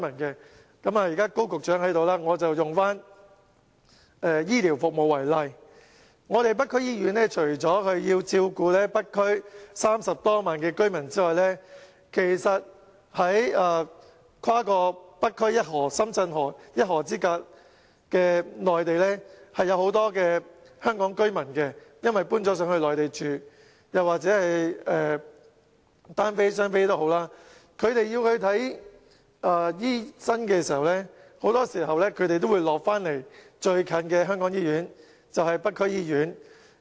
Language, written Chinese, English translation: Cantonese, 現在高局長在席，我用醫療服務為例，北區醫院除了要照顧北區30多萬居民外，跨過北區一河——深圳河——一河之隔的內地有很多香港居民，他們因為遷到內地居住，以及"單非"及"雙非"兒童，他們需要醫療服務的時候，很多時都會到香港最就近的醫院，即北區醫院。, As Secretary Dr KO is present I would like to take health care as an example . Besides taking care of 300 000 residents in the North District the North District Hospital also has to serve many Hong Kong citizens living in Shenzhen on the other side of the river that is the Shenzhen River . They are Hong Kong people and singly non - permanent resident children or doubly non - permanent resident children living in the Mainland who will visit the hospital within the shortest distance in Hong Kong when they require health care service that is the North District Hospital